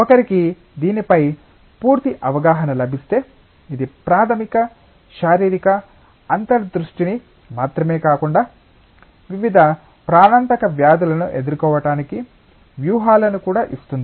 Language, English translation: Telugu, And if one gets a complete understanding of this, it gives rise to the not only a fundamental physical insight, but also maybe strategies to combat various life threatening diseases